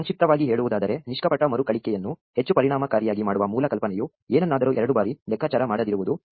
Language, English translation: Kannada, To summarize, the basic idea to make na•ve recursion more efficient is to never compute something twice